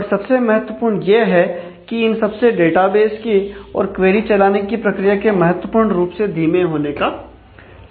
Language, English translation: Hindi, And most importantly, these have potentials of slowing down the database, query process and significantly